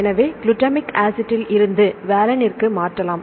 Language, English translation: Tamil, Valine; so we change to glutamic acid to valine